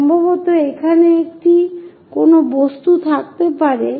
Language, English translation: Bengali, Perhaps there might be an object here